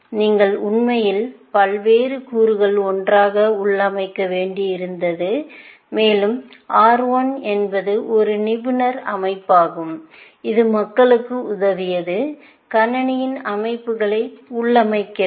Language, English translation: Tamil, You had to actually configure various components together, and R 1 was an expert system, which helped people, configure computer systems